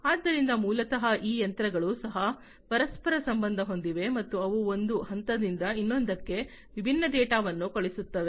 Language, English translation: Kannada, So, basically these machines are also interconnected, and they send different data from one point to another